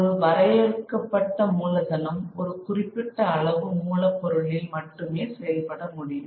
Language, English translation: Tamil, A limited capital can only work on a limited amount of raw material